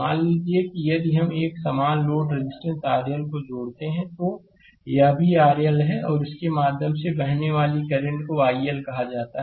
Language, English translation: Hindi, Suppose, if we connect a same load resistance R L, this is also R L right, and current flowing through this is say i L